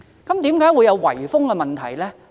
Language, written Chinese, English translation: Cantonese, 為何會出現圍封問題呢？, Why would the problem of enclosures emerge?